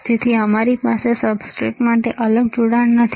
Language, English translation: Gujarati, So, we do not have a separate connection for the substrate